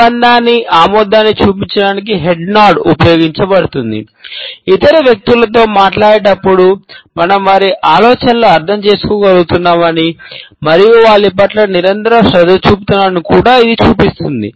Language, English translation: Telugu, A head nod is used to show our agreement, our approval, while be a talking to other people, it also shows that we are able to comprehend their ideas and that we are continually attentive to them